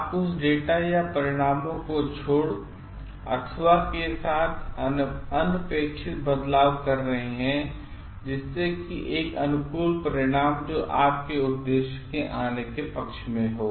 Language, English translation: Hindi, You are omitting certain data or results, so that a favourable result which favours your purpose is coming